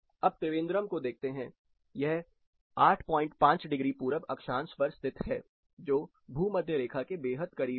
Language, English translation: Hindi, Consider the case of Trivandrum which is 8 and half degrees north latitude